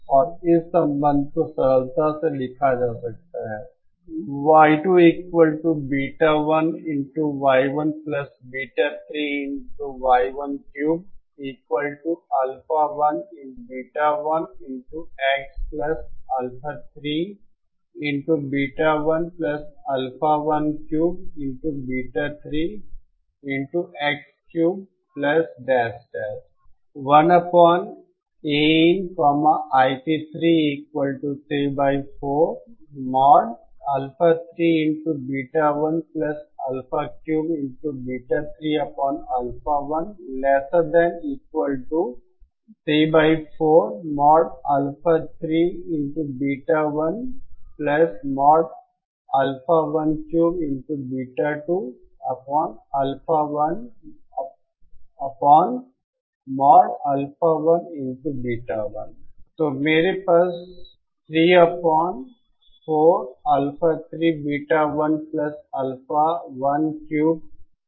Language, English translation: Hindi, And this relationship can simply be written asÉ So I have 3 upon 4 Alpha 3 Beta 1 + Alpha 1 cube Beta 3 upon Alpha Beta 1